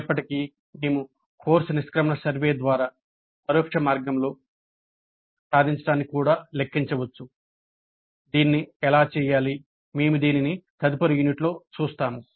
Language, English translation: Telugu, However, we can also compute the attainment in an indirect way through course exit survey